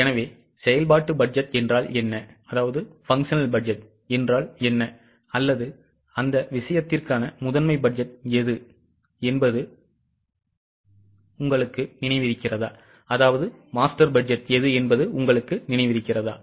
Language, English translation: Tamil, So, do you remember what is a functional budget or what is a master budget for that matter